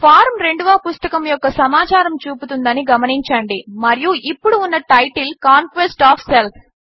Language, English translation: Telugu, Notice that the form shows the second books information and the title is now Conquest of self